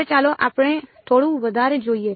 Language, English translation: Gujarati, Now, let us look a little bit more